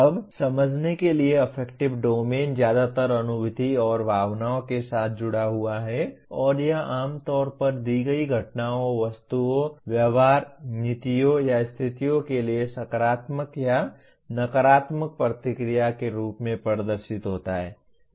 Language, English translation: Hindi, Now, to understand the affective domain is mostly associated with the feelings and emotions and it is usually displayed in the form of positive or negative reaction to given events, objects, behaviors, policies or situations